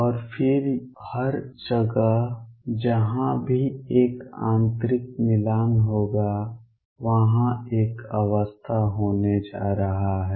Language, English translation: Hindi, And then everywhere else wherever there is an interior matching there is going to be one state